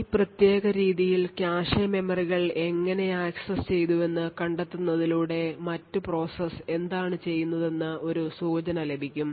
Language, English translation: Malayalam, In this particular way by tracing the how the cache memories have been accessed would get an indication of what the other process is doing